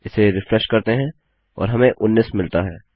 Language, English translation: Hindi, Lets refresh that and we can get 19